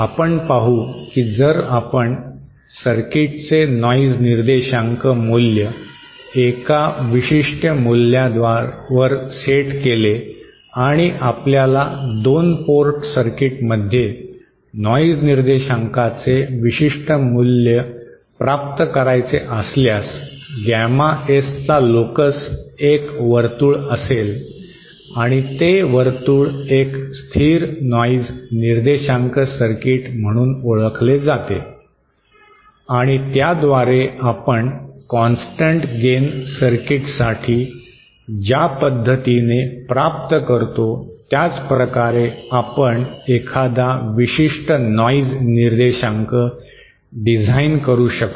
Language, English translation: Marathi, We will see that if we set the noise figure value of the circuit at a certain value, if we set if we want to obtain a particular value of noise figure in a 2 port circuit, then the locus of gamma S will be a circle and that circle is known as a constant noise figure circuit and using that, we can design a particular value noise figure that we want to obtain in the same way that we did for the constant gain circuit